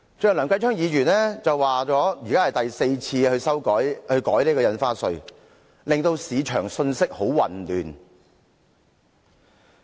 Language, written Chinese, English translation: Cantonese, 正如梁繼昌議員剛才所說，這是政府第四次改變印花稅的舉措，令市場信息混亂。, As Mr Kenneth LEUNG said just now this is the fourth revision that the Government has made to the stamp duty sending confusing messages to the market